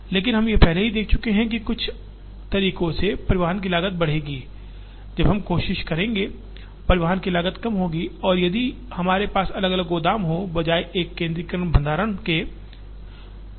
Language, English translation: Hindi, But, we have already seen that, in some ways the cost of transportation will increase when we try, the cost of transportation will be lower if we have different warehouses, rather than a centralized warehousing